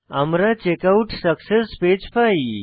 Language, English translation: Bengali, We get the Checkout Success Page